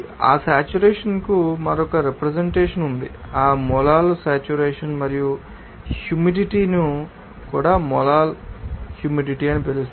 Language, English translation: Telugu, There is another representation of that saturation called that Molal saturation and also humidity respective which is called Molal Humidity